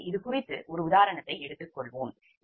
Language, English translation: Tamil, so let us take one example on this